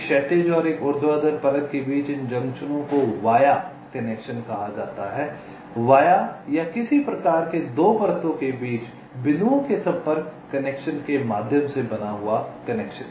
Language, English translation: Hindi, these junctions between one horizontal and a vertical layer is called a via connection, via or a some kind of contact connection between the points in the two layers